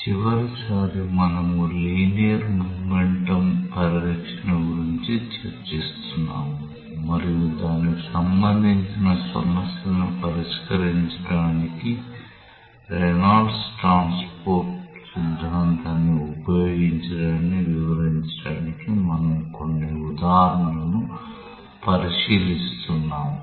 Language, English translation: Telugu, Last time we were discussing about the Linear Momentum Conservation, and we were looking into some examples to illustrate the use of the Reynolds transport theorem for working out problems related to that